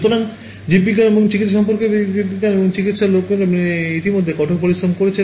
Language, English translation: Bengali, So, biology and medicine people in biology and medicine they have already done the hard work